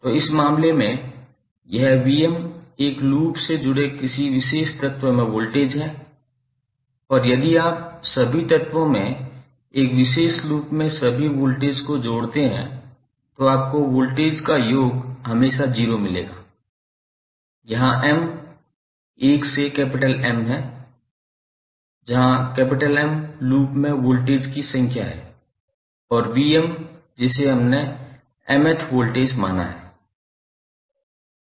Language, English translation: Hindi, So, in this case, this V¬m¬ is the voltage across a particular element connected in a loop and if you sum up all the voltages in a particular loop across all the elements then you will get, the summation of voltage would always be 0 and m where is from 1 to M, where M in number of voltages in the loop and V¬m¬ ¬that we have considered as the mth voltage